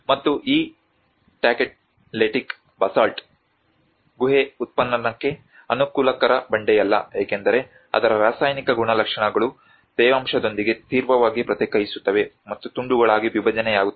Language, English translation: Kannada, \ \ \ And this Tacheletic Basalt which is not a conducive rock for cave excavation as its chemical properties react sharply with moisture and disintegrate into pieces